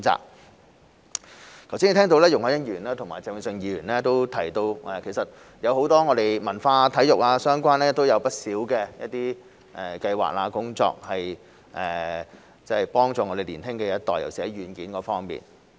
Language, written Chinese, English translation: Cantonese, 我剛才聽到容海恩議員和鄭泳舜議員提到，其實我們有許多關於文化、體育相關的不同計劃和工作幫助年輕一代，尤其是在軟件方面。, Just now I heard Ms YUNG Hoi - yan and Mr Vincent CHENG mention that we have implemented many projects and programmes to help the younger generation in the areas of culture and sports especially software